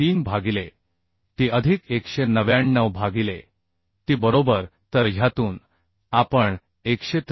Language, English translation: Marathi, 83 by t plus 199 by t right So from these we can find out as 193